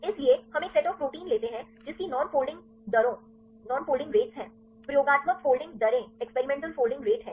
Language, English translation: Hindi, So, we take a set of proteins with non folding rates experimental folding rates right